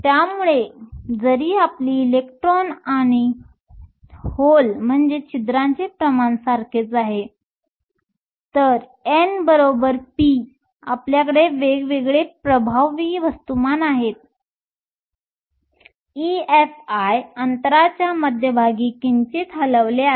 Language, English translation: Marathi, So, even though your electron and hole concentrations are the same, so n is equal to p because you have different effective masses, your E Fi is slightly shifted from the center of the gap